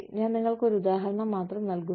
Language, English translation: Malayalam, I am just giving you an example